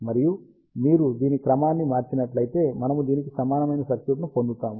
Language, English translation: Telugu, And if you rearrange this, we get circuit which is similar to this